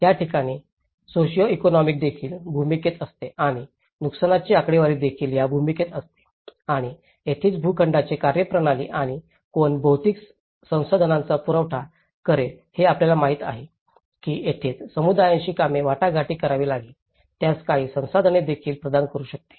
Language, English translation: Marathi, This is where the socio economics also play into the role and the damage statistics also play into the role and this is where the typology of plots and now who will supply the material resources, you know that is where they have to negotiate with how communities can also provide some resources to it